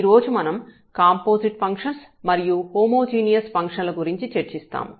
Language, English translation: Telugu, And, today we will be discussing about a Composite Functions and Homogeneous Functions